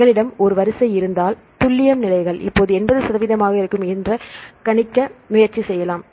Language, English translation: Tamil, So, if we have a sequence we can try to predict let the accuracy levels are about 80 percent now